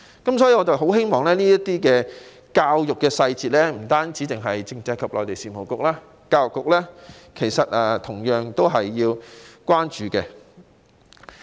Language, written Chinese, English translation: Cantonese, 故此，對於這些教育上的細節，希望不單是政制及內地事務局，教育局也同樣要關注。, Therefore with regard to such minute details in education issues I hope that apart from the Constitutional and Mainland Affairs Bureau the Education Bureau will also pay attention to them